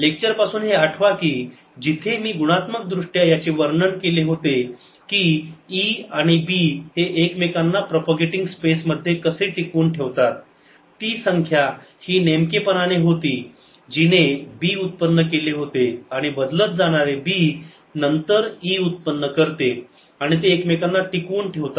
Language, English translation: Marathi, recall from the lecture where i qualitatively described how e and b sustain each other in propagating space, it was precisely this term that gave rise to b and changing b then gave rise to e and they sustain each other